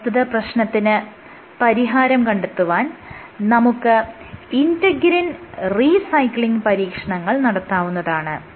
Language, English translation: Malayalam, So, to address it you can actually look at you can look at integrin signaling experiments integrin recycling experiments